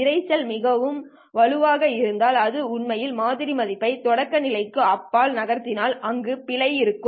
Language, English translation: Tamil, If the noise is so strong that it actually moves up the sample value beyond the threshold, then there will be an error